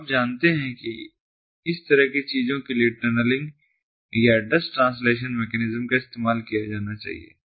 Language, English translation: Hindi, so, ah, you know, mechanism such as tunnelling or address translation mechanisms have to be used in order for this thing to happen